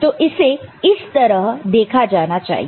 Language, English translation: Hindi, So, that is the way it has to be seen ok